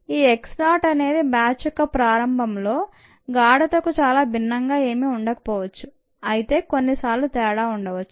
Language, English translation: Telugu, ok, x zero may not be very different from the concentration at the start of the batch, but ah, sometimes there might be a difference